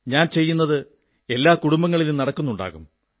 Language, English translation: Malayalam, What I am doing must be happening in families as well